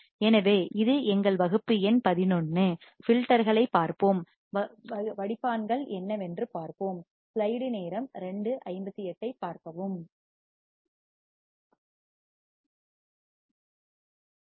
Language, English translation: Tamil, So, this is our class number 11; and we will look at the filters, we will see what are the filters